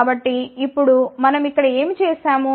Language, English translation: Telugu, So, now, so, what we have done here